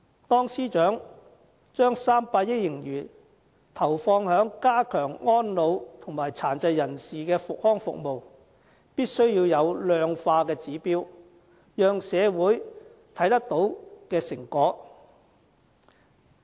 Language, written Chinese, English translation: Cantonese, 當司長把300億元盈餘投放於加強安老和殘疾人士的康復服務時，必須有量化的指標，讓社會可以看到成果。, Apart from deploying 30 billion on strengthening elderly services and rehabilitation services for persons with disabilities the Financial Secretary must also lay down quantifiable objectives for his plan so that the public can see the results